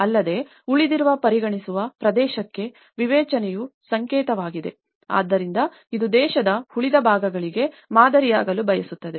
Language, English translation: Kannada, Also, a symbol of emancipation for a region considered by the rest, so it want to be a model for the rest of the country